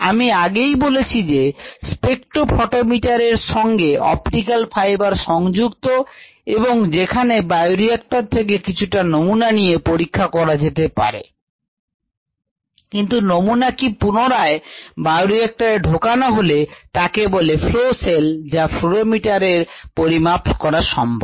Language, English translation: Bengali, as i mentioned earlier, the optical fibre is integrated ah with a spectro photometer or a fluorimeter, or you could take a sample from the bioreactor as it is operating but bring the sample back in to the bioreactor after it flows through what is called a flow cell, which is placed in the fluorimeter for measurement